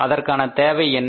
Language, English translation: Tamil, What is the reason